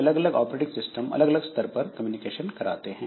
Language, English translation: Hindi, So, different OS will allow different level of communication